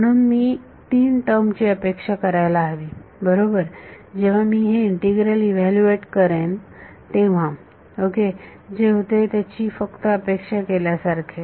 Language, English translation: Marathi, So, I should expect three terms right; in the when I evaluate this integral ok, this just to anticipate what happens